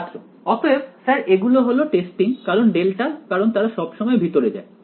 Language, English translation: Bengali, So, sir these are testing because delta because they always to go under